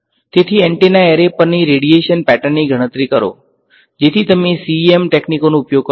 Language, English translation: Gujarati, So, calculate the radiation pattern of on the antenna array, so you would use CEM techniques